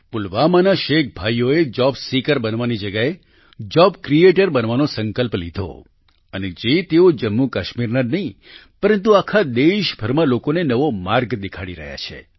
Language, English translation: Gujarati, The Sheikh brothers of Pulwama took a pledge to become a job creator instead of a job seeker and today they are showing a new path not only to Jammu and Kashmir, but to the people across the country as well